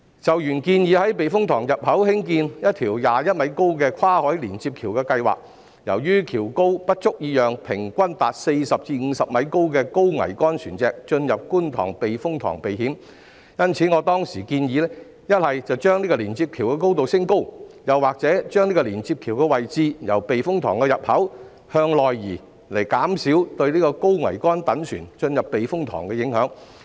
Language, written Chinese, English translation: Cantonese, 就原建議在觀塘避風塘入口興建一條21米高的跨海連接橋的計劃，由於橋高不足以讓平均達40至50米高的高桅杆船隻進入觀塘避風塘避險，因此我當時建議一則把連接橋的高度升高，二則連接橋的位置由避風塘入口處向內移，以減少對高桅杆躉船進入避風塘的影響。, With regard to the original proposal of constructing a cross - sea connecting bridge at 21 m above the sea level at the entrance of the Kwun Tong Typhoon Shelter since the bridge is not high enough to allow some high - mast vessels of an average height of 40 m to 50 m to enter the Kwun Tong Typhoon Shelter to protect themselves from danger I hence suggested back then that the height of the connecting bridge should be increased and the location of the connecting bridge should be moved inward from the entrance of the typhoon shelter so as to reduce the impact on the high - mast vessels entering the typhoon shelter